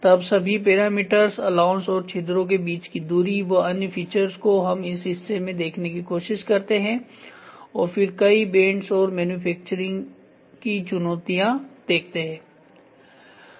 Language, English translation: Hindi, Then whole parameters and allowance and distance between the holes and other features, when we try to look at this part and then multiple bends and manufacturing challenges